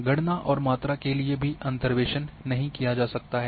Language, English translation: Hindi, For counts and amounts interpolation cannot be done